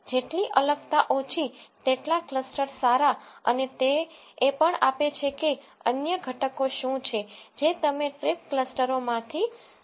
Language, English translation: Gujarati, The lesser the variance, the good are the clusters and it will also give what are the other components that you can look from the trip clusters